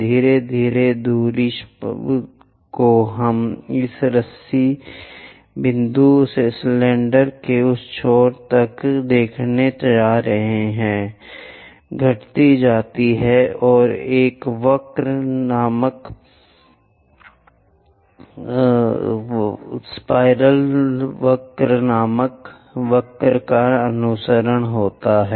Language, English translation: Hindi, Gradually, the distance, the apparent distance what we are going to see from the rope point to that end of the cylinder decreases and it follows a curve named involutes